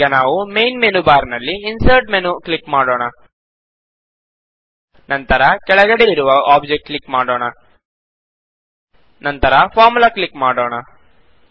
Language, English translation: Kannada, Let us click on the Insert menu on the main menu bar, and then Object which is toward the bottom and then click on Formula